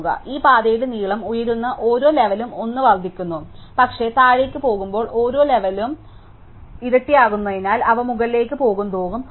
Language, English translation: Malayalam, So, each level we go up the length of this path increases by 1, but because the levels double as we go down they have as we go up